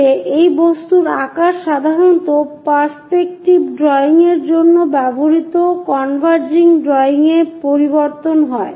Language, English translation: Bengali, In that, this object size hardly changes usually converging drawing used for perspective drawing